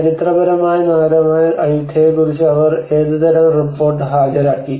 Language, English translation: Malayalam, Or what kind of report they have produced on the historic city of Ayutthaya